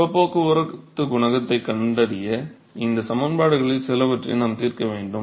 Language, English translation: Tamil, So, we have to solve some of these equations in order to find the heat transport coefficient